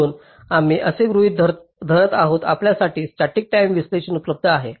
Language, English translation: Marathi, so for this we need to use static timing analyzer as a tool